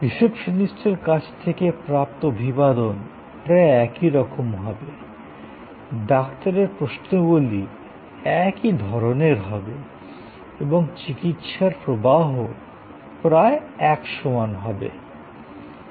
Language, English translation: Bengali, The greeting from the receptionist will be almost same, the Doctor’s questions will be of the same type and the flow of treatment will also be almost similar